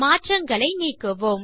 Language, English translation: Tamil, Let us undo the changes